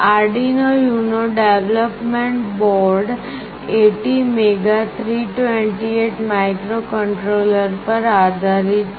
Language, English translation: Gujarati, The Arduino UNO development board is based on ATmega 328 microcontroller